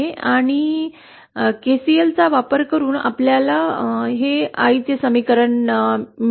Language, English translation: Marathi, And using KCL, we get this as the equation